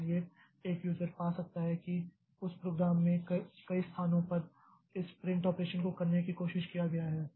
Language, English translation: Hindi, So, one user may find that, okay, in my program I am trying to do this print operation at several places